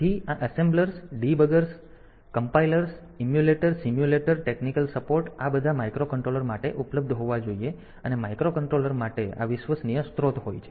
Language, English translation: Gujarati, So, these assemblers debuggers compilers emulators simulator technical supports all these should be available for the microcontroller that we take wide availability it should be widely available and this reliable sources for the microcontroller